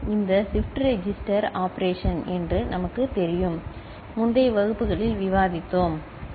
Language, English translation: Tamil, That is what we know as shift register operation, we have discussed in the previous classes, ok